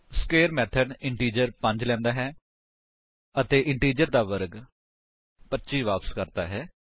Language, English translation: Punjabi, The square method takes an integer 5 and returns the square of the integer i.e